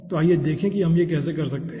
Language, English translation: Hindi, so let us see how we can do that